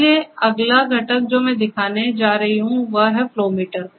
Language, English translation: Hindi, So, the next component that, I am going to show are the flow meters